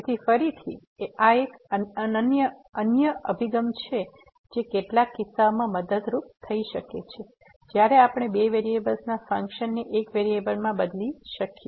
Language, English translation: Gujarati, So, again this is another approach which could be helpful in some cases when we can change the functions of two variables to one variable